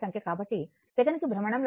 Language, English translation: Telugu, So, number of revolution per second